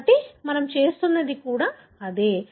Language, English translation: Telugu, So, that is exactly the same thing we are doing